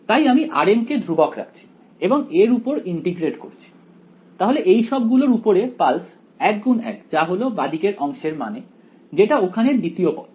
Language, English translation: Bengali, So, I am holding r m constant and integrating over this then this then this over all of these pulses 1 by 1 that is the meaning of the left hand side the second term over here